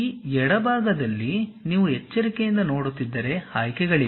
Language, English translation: Kannada, If you are carefully looking at on this left hand side, there are options